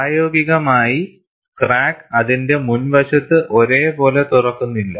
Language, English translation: Malayalam, In practice, the crack does not open uniformly along its front